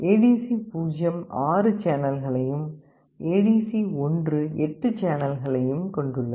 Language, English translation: Tamil, ADC0 has 6 channels and ADC1 had 8 channels